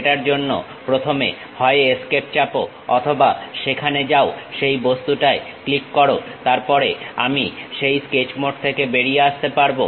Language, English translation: Bengali, First of all for that either press escape or go there click that object, then I came out of that Sketch mode